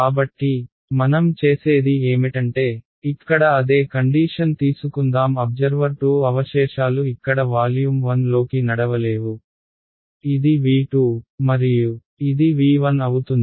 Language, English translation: Telugu, So, what we do is, let us take the same situation over here observer 2 remains over here cannot walk into volume 1 this is V 2 and this is V 1